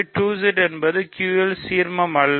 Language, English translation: Tamil, So, 2Z is not ideal of Q